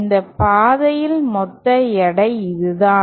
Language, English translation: Tamil, And along this path, the total weight is this